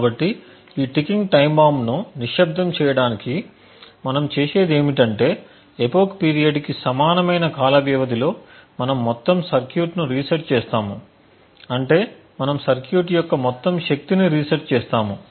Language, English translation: Telugu, So, in order to silence this ticking time bomb what we do is that at periodic intervals of time at periods equal to that of an epoch we reset the entire circuit that is we reset the power of the circuit